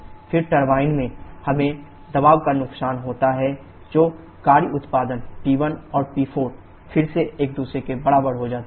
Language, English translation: Hindi, Then in the turbine, we have the pressure loss which leads to the work production P1 and P4 again equal to each other